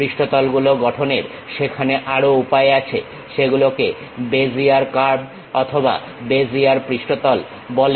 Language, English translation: Bengali, There are other ways of constructing surfaces also, those are called Bezier curves and Bezier surfaces